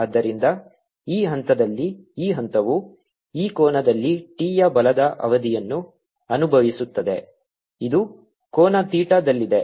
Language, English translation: Kannada, so t remains the same and therefore at this point this point feels a force period of t at this angle, which is at an angle theta